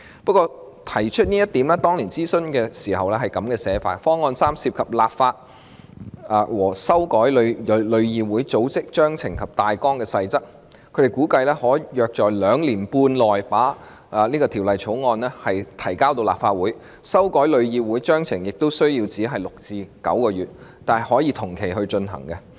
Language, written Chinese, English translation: Cantonese, 不過，當年提出這項方案時，諮詢文件指方案三涉及立法和修改旅議會《組織章程大綱及細則》，估計可在兩年半內把法案提交立法會，修改旅議會章程則需時6個至9個月，但可以同期進行。, Nevertheless when this option was proposed back then the consultation document pointed out that the implementation of Option 3 required amendments to legislation and TICs Memorandum and Articles of Association MAA and it was expected that a bill could be introduced into the Legislative Council in about two and a half years while the amendments to TICs MAA would take six to nine months and the two amendments might be pursued concurrently